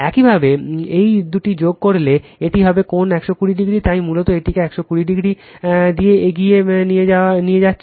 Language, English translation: Bengali, If you add these two, it will be V p angle 120 degree; so, basically leading this one by 120 degree right